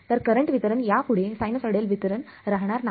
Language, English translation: Marathi, So, that current distribution will no longer be a sinusoidal distribution